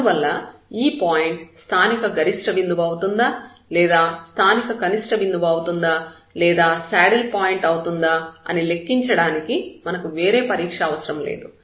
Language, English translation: Telugu, And therefore, we do not need any other test to compute whether this point is a point of a local maximum minimum or a saddle point